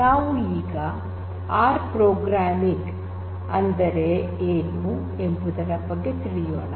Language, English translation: Kannada, So, let us first look at R, what is R and the R programming